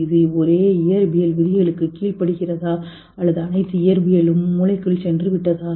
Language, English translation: Tamil, Does it obey the same physical laws or maybe all physics has gone into the brain